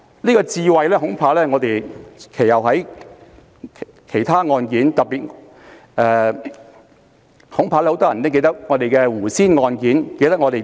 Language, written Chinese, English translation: Cantonese, "這個智慧恐怕在其後很多其他案件中均受到挑戰，特別是很多人記得的胡仙案。, This wisdom has been challenged in many other subsequent cases especially the Sally AW case which many of us still remember